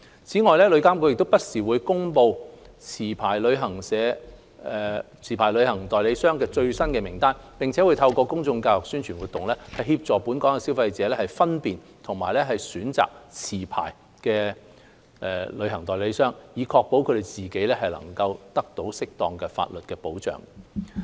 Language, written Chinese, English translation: Cantonese, 此外，旅監局亦會不時公布持牌旅行代理商的最新名單，並透過公眾教育、宣傳活動等，協助本港消費者分辨及選擇持牌的旅行代理商，以確保自己得到適當的法例保障。, Furthermore TIA will also publish up - to - date lists of licensed travel agents from time to time and assist local consumers in identifying and choosing licensed travel agents through public education promotional activities etc . to ensure that they are appropriately protected under the law